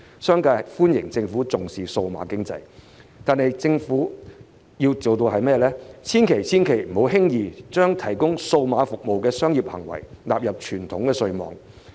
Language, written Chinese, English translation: Cantonese, 商界對政府重視數碼經濟表示歡迎，但政府千萬、千萬不要輕易將提供數碼服務的商業行為納入傳統稅網。, While the business sector welcomes the Governments emphasis on digital economy the Government should definitely not bring the business practices of providing digital services into the traditional tax net too lightly